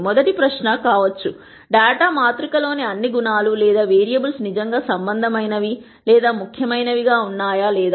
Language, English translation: Telugu, The rst question might be; Are all the attributes or variables in the data matrix really relevant or impor tant